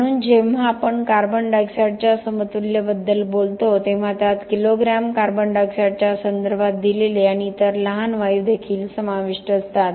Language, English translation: Marathi, So, when we talk about carbon dioxide equivalent it also includes the other smaller amount of gasses that are given out and given in terms of kilogram of carbon dioxide